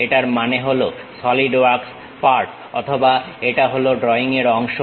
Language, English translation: Bengali, It means that Solidworks part or it is part of part the drawing